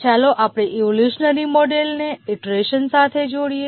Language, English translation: Gujarati, Now let's look at the evolutionary model with iteration